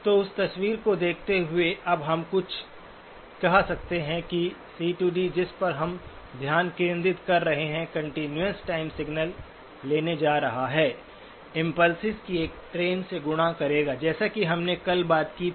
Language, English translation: Hindi, So given that picture, then we can now say that the C to D, that is what we are focussing on, is going to take the continuous time signal, multiplied by a train of impulses, as we talked about yesterday